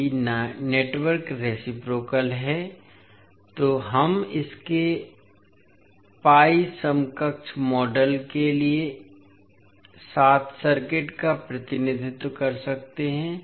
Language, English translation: Hindi, So, if the circuit is, if the network is reciprocal we can represent circuit with its pi equivalent model